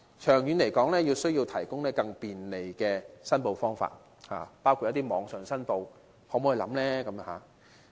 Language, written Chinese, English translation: Cantonese, 長遠來說，需要提供更便利的申報方法，包括可於網上申報。, In the long run more convenient ways of application including online application need to be provided